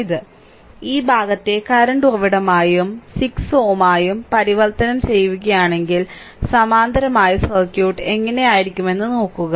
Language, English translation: Malayalam, So, if you convert this one to a this portion to a current source and a 6 ohm in parallel then look how the circuit will look like right